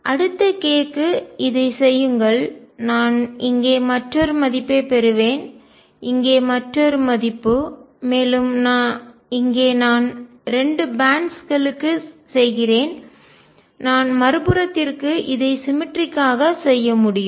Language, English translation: Tamil, Do it for the next k I will get another value here another value here I just do it for 2 bands I can do symmetrically for the other side